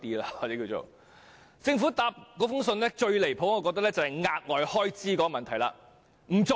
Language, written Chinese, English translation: Cantonese, 我認為政府的回覆中最無理的一點是額外開支的問題。, I think the most unreasonable point in the Governments reply is additional expenditure